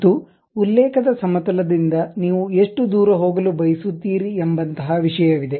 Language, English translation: Kannada, And, there is something like how far you would like to really go from the plane of reference